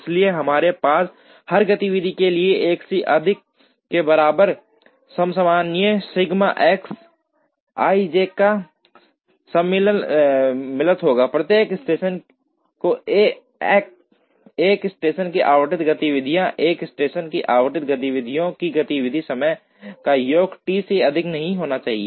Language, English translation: Hindi, So, we would have the constraint sigma X i j summed over j equal to 1 for every activity i, each station the activities allotted to a station, a sum of the activity time of the activities allotted to a station, should not exceed T